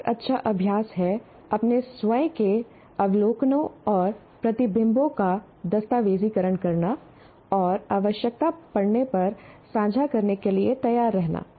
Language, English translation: Hindi, Now, another good practice is to document your own observations and reflections and be willing to share when required